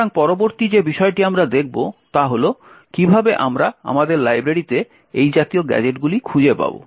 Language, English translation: Bengali, So, the next thing we will actually look at is, how do we find such gadgets in our library